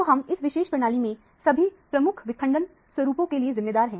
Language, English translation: Hindi, So, we have essentially accounted for all the major fragmentation pattern in the particular system